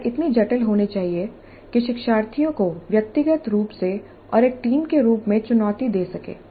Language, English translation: Hindi, The problem should be complex enough to challenge the learners individually and as a team